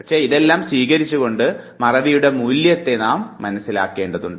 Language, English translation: Malayalam, But accepting all these things we must understand the value of forgetting